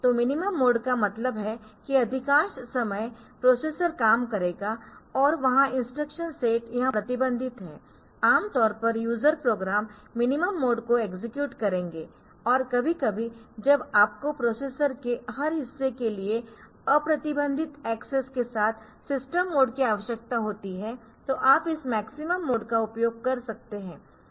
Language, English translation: Hindi, So, minimum mode means it will be in that mode the most of the time the processor will work and there the instruction set it is restricted, normally the user programs they will be executing the minimum mode and sometimes when you need the system mode of operation with unrestricted access for a every part of the processor